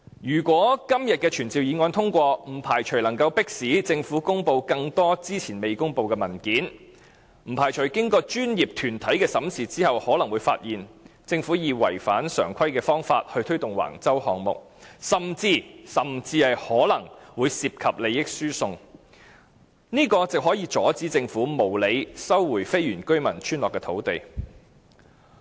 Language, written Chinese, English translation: Cantonese, 如果今天的傳召議案獲得通過，不排除可以迫使政府公布更多之前未公布的文件，不排除經過專業團體的審視後，可能會發現政府以違反常規的方法推動橫洲項目，甚至可能會涉及利益輸送，這樣可以阻止政府無理收回非原居民村落的土地。, If this motion is passed today the Government might be compelled to disclose more documents which have not been made public before . After these documents are examined by professional groups we might find irregularities and even transfer of benefits when the Government took forward the Wang Chau development project . In that case we can stop the Government from unreasonably resuming the land of the non - indigenous villages